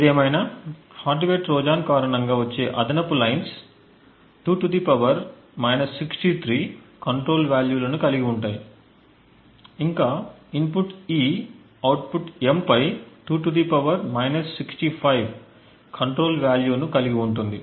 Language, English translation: Telugu, However, the additional lines which is due to the hardware Trojan has a control value of 2 ^ , further the input E has a control value of 2 ^ on the output M